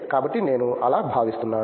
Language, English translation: Telugu, So, I am feeling like that